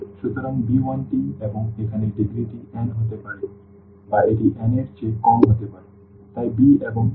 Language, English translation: Bengali, So, b 1 t and here the degree can be n or it can be less than n, so, b and t n